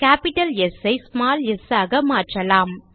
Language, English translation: Tamil, Let us replace the capital S with a small s